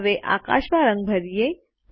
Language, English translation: Gujarati, Lets color the sky now